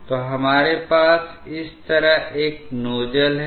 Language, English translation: Hindi, So, we have a nozzle like this